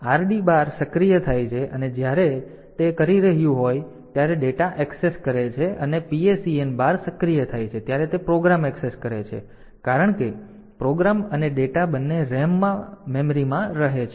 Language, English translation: Gujarati, So, read bar is activated when it is doing when it is doing say data access and PSEN bar is activated when it is doing program access since, program and data both of them are residing in the memory in the RAM